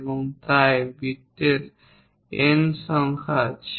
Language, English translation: Bengali, There are N number of circles